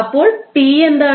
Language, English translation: Malayalam, So, what is capital T